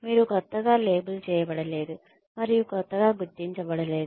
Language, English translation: Telugu, You are not labelled as a newcomer, and identified as a newcomer